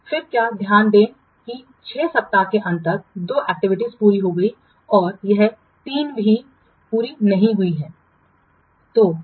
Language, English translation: Hindi, So now we have observed that by the end of week six, two activities have been completed and the three activities are still unfinished